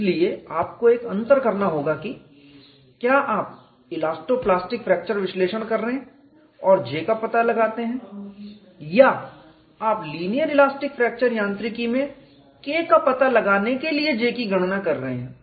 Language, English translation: Hindi, So, you have to find out a differentiation are you doing elasto plastic fracture analysis, and find out J or are you calculating J to find out K in linear elastic fracture mechanics